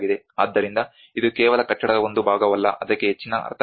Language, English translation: Kannada, So it is not just a part of the building there is more meanings to it